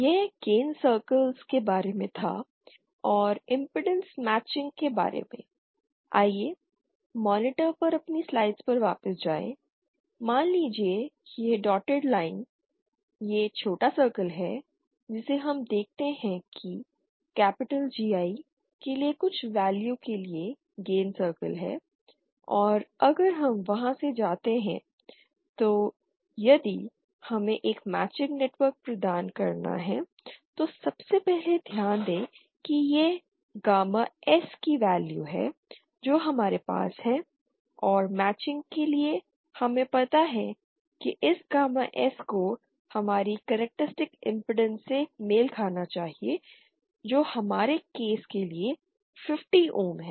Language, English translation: Hindi, That was that was about the gain circles but about the impedance matching let’s go back to our slides on the monitor suppose this dotted line this small circle that we see is the gain circle for some value for capital GI and if we go from then if we have to provide a matching network so first of all note that this is the value of gamma S that we have to achieve and for matching we need you know we need a this gamma S to be matched to our characteristic impedance which say for our case is 50 ohms